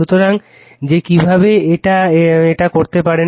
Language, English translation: Bengali, So, I showed you that how one can do it